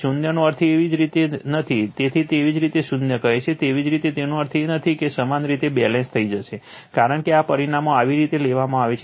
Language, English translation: Gujarati, Zero does not means your, what you call that it is your what you call zero your it does not mean that you will become balanced, because these parameters are taken in such a fashion